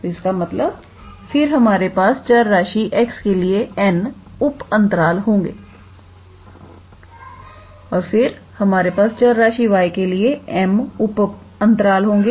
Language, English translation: Hindi, So, that means, then here we have n subintervals for the variable x and then we have m sub intervals for the variable y